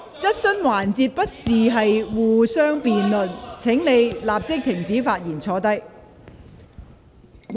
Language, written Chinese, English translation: Cantonese, 質詢環節不是辯論時間，請你立即停止發言並坐下。, The question session is not for Members to debate . Please stop speaking immediately and sit down